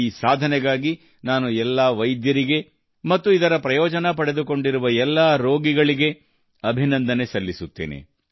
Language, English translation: Kannada, For this achievement, I congratulate all the doctors and patients who have availed of this facility